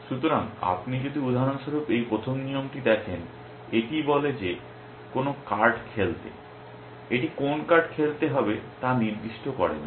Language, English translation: Bengali, So, if you look at this first rule for example, it says that to play any card it does not specify which card to play